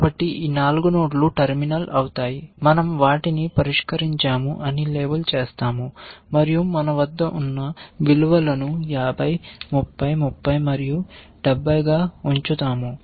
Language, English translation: Telugu, So, these 4 nodes will be terminal, we will label them solved and we will put the values that we have, which is 50, 30, 30, and 70